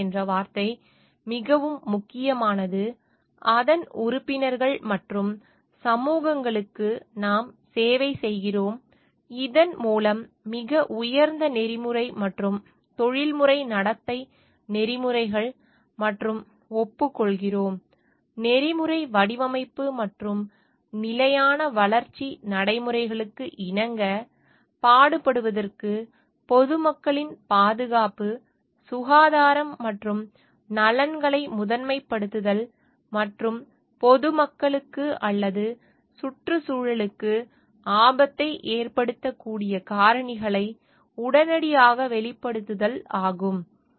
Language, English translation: Tamil, The word duty is very important its members and communities we serve to hereby commit ourselves with the highest ethical and professional codes of conduct, and agree; to hold paramount the safety, health and welfare of the public to strive to comply with ethical design and sustainable development practices, and to disclose promptly factors that might endanger the public or the environment